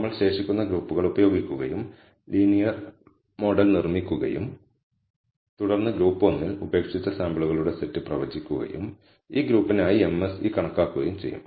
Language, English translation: Malayalam, We will use the remaining groups, build the linear model and then predict for the set of samples in group 1 that was left out and compute the MSE for this group